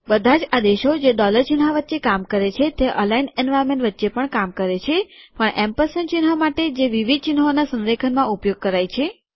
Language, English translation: Gujarati, All commands that work in between the dollar sign also work between the aligned environment but for the ampersand symbol that is used for the aligning of multiple symbols